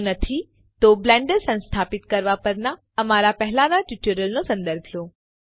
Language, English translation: Gujarati, If not please refer to our earlier tutorials on Installing Blender